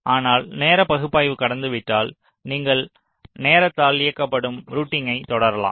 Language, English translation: Tamil, but if the timing analysis is passed, then you proceed to timing driven routing